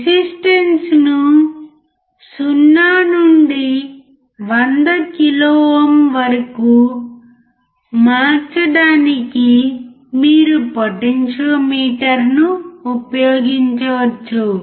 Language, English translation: Telugu, You can use potentiometer to change the resistance from 0 to 100 kilo ohm